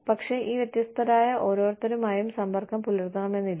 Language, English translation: Malayalam, But, may not be in touch with, each of these, different people